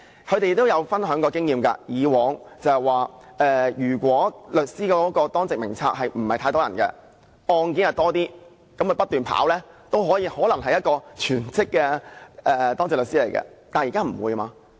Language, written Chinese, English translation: Cantonese, 他們曾分享經驗，說以往如果當值律師名冊不太多人，而案件較多，他們不斷接案件也可能是等於擔任全職的當值律師，但現時不會。, They have shared their experience with me saying that in the old days with fewer lawyers on the duty lawyer list but more cases they virtually worked as full - time duty lawyers as they kept taking on cases . But this is no longer the case now